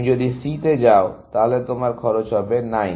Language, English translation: Bengali, If you go to C, then you have a cost of 9